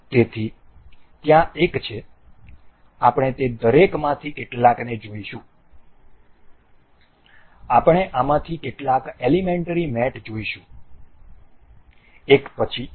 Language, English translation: Gujarati, So, there one, we will go through each of them some, we will go through some elementary mates of them out of these one by one